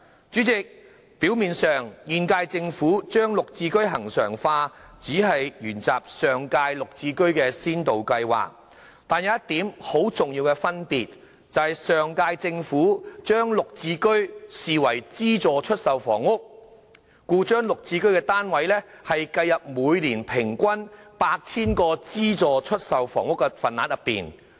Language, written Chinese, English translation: Cantonese, 主席，表面上現屆政府把"綠置居"恆常化，只是沿襲上屆"綠置居"先導計劃，但當中有一點很重要的分別，就是上屆政府把"綠置居"視為資助出售房屋，故將"綠置居"單位計入每年平均 8,000 個資助出售房屋的份額內。, President the regularization of GSH by the current - term Government seems to have inherited the GSH Pilot Scheme of the last - term Government but there is one crucial difference between them and that is GSH was regarded as subsidized sale flats by the last - term Government and was counted towards the 8 000 average annual quota of subsidized sale flats